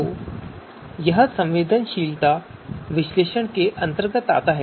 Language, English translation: Hindi, So that comes under you know domain of sensitivity analysis